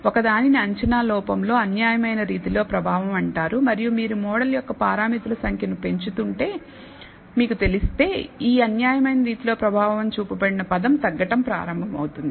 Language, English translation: Telugu, One is called the bias in your prediction error and if you know if you increase the number of parameters of the model, this bias squared of the bias term will start decreasing